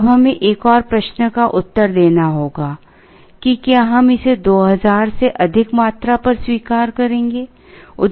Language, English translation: Hindi, Now, we have to answer another question whether we will accept it at a quantity at a greater than 2000